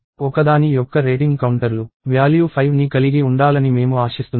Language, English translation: Telugu, I would expect rating counters of one to be containing the value 5